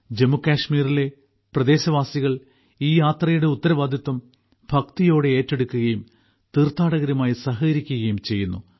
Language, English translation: Malayalam, The local people of Jammu Kashmir take the responsibility of this Yatra with equal reverence, and cooperate with the pilgrims